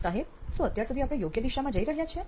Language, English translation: Gujarati, Sir are we on the right track till now